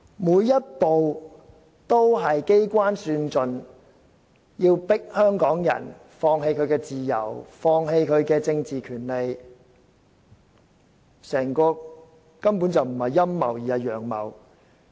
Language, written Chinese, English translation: Cantonese, 每一步也是機關算盡，目的是迫香港人放棄自由、放棄政治權利，整個根本不是陰謀，而是"陽謀"。, Every step is part of the cleverest calculation with the objective of forcing Hongkongers to give up their freedom and political rights . This whole thing is not a conspiracy but an open plot